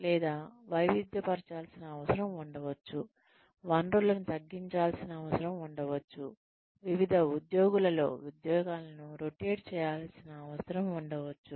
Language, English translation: Telugu, Or, , there could be a need to diversify, there could be a need to cut down resources, there could be a need to rotate jobs among various employees